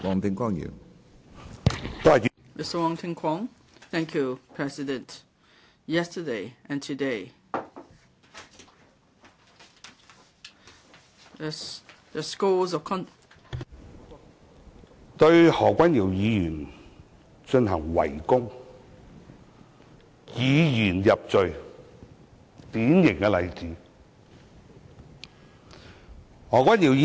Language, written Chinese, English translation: Cantonese, 主席，昨天和今天對何君堯議員的譴責，"黑雲壓城城欲摧"，他們對何君堯議員進行圍攻，是以言入罪的典型例子。, President the speeches on the censure against Dr Junius HO in yesterdays and todays meetings are just like dark clouds over the city threatening to crush it down . The fact that they attack Dr Junius HO from all sides is the classical example of making conviction by ones expression of opinions